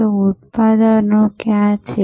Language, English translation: Gujarati, So, where is the product